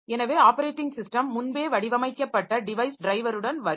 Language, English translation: Tamil, So, either the operating system will come with a previously designed device driver